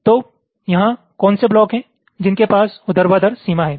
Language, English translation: Hindi, so you see, here i said blocks which share a vertical boundary